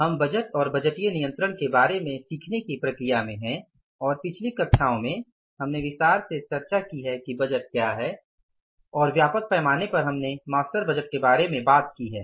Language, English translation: Hindi, So, we are in the process of learning about the budgets and budgetary control and in the previous classes we have discussed in detail that what is budget and largely we talked about the master budget